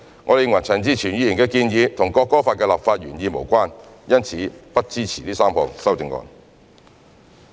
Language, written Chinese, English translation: Cantonese, 我們認為陳志全議員的建議與《國歌法》的立法原意無關，因此不支持這3項修正案。, We consider Mr CHAN Chi - chuens proposal irrelevant to the legislative intent of the National Anthem Law . Hence we do not support the three amendments